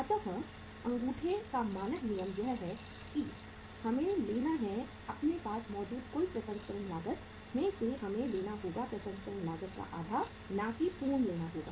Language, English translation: Hindi, So the standard rule of thumb is that we have to take the out of the total processing cost we have to take the half of the processing cost not the full